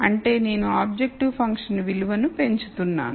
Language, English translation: Telugu, That is I am increasing the objective function value